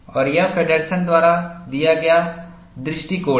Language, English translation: Hindi, And this is the approach, given by Feddersen